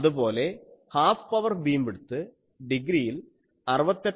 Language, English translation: Malayalam, Similarly, half power beam width in degree it will be 68